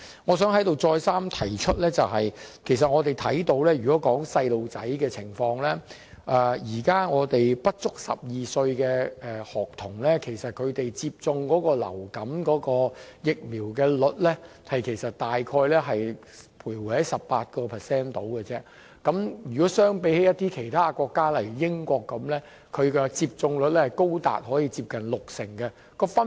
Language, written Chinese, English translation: Cantonese, 我想在這裏再三提出，我們看到小朋友的情況，現在不足12歲的學童，他們接種流感疫苗的比例大約是 18%。相比其他國家，例如英國，其有關的接種率是高達六成。, I would like to reiterate that only 18 % of students under 12 years old have be vaccinated against influenza much lower than the rates of vaccination in other countries such as the United Kingdom whose rate is 60 %